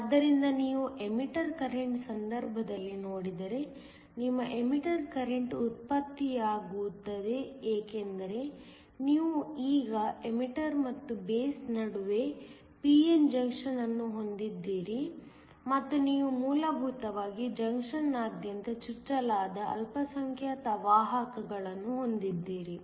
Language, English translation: Kannada, So, if you look in the case of an emitter current, your emitter current is generated because you now have a p n junction between the emitter and the base, and you basically have minority carriers that are injected across the junction